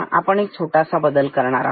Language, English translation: Marathi, Now, we will do a small modification